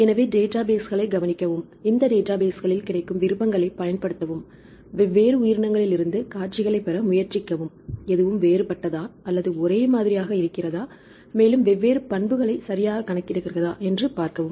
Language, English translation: Tamil, So, you suggested to look into the databases and use the options available in this databases, and then try to get the sequences from different organisms and see whether anything is different or the same once again calculate different properties right